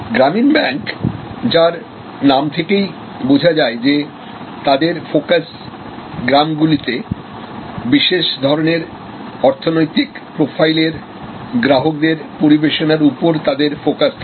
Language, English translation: Bengali, So, Gramin Bank by it is very name it is focused on villages, it is focused on serving particular type of economic profile of customers